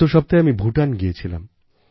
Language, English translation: Bengali, Just last week I went to Bhutan